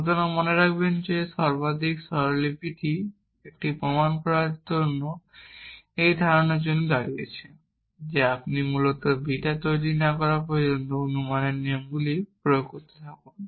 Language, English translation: Bengali, So, remember that this most notation stands for this idea of generating a proof that you keep apply in rules of inference till you generate beta essentially